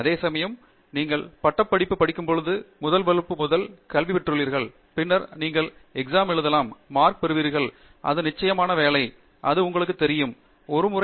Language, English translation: Tamil, Whereas, when you do course work, it is something that you have done since first grade or first standard onwards you have been doing course work, you do classes, you write exams, you get marks; that is a pattern that you know